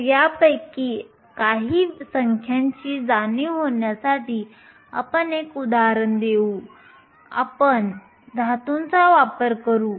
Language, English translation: Marathi, So, let us do an example to get a sense of some of these numbers and we will make use of a metal